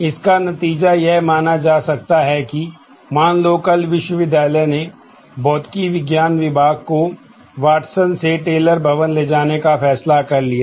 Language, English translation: Hindi, The consequence of this could be suppose, tomorrow the university decides to move this Physics department from Watson to the Taylor building